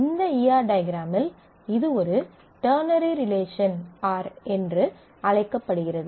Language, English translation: Tamil, Now this is an E R diagram this is called a ternary relationship R